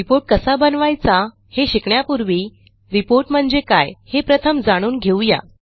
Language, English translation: Marathi, Before learning how to create a report, let us first learn what a report is